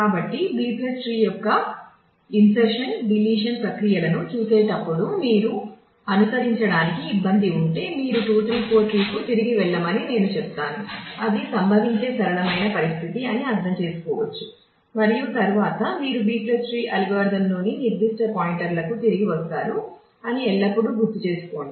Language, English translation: Telugu, So, while going through the insertion deletion processes of B + tree, if you have difficulty following I would request that you go back to the 2 3 4 tree that is kind the simplest situation that can have that can occur and understand that and then you come back to the specific points in the B + tree algorithm and also always keep in mind